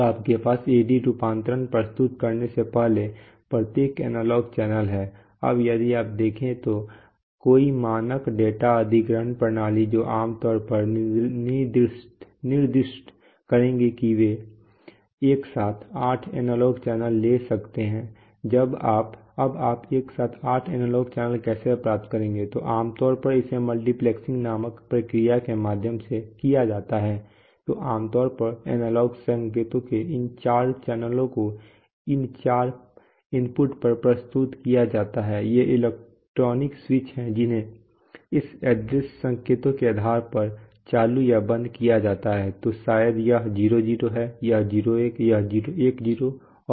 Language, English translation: Hindi, Now you have, so this is how you, condition the each analog channel before you present it for AD conversion, right, now it turns out if you see, if you see any standard data acquisition system that they typically will specify that they can take eight analog channels simultaneously, apparently simultaneously, now how do you get eight analog channel simultaneously, so typically it is the conceptually, the scheme is something like this so it is done through a process called multiplexing, so typically you have, you know, let us say these four channels of analog signals are being presented at these four inputs right, so what you do is, if you, these are, you know, electronic switches which can be put on or off depending on this address signals, so maybe this address is 0 0 this is 0 1this is 1 0 and this 1 1 right